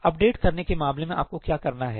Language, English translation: Hindi, In case of updating what do you have to do